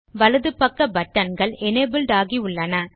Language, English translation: Tamil, The buttons on the right side are now enabled